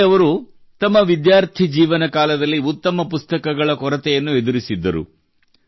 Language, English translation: Kannada, In his student life, Sanjay ji had to face the paucity of good books